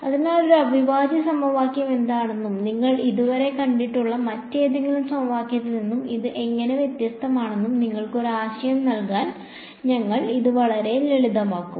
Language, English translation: Malayalam, So, we will keep it very very simple to give you an idea of what exactly is an integral equation and how is it different from any other kind of equation you have seen so far right